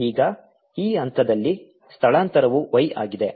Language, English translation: Kannada, at this point the displacement is y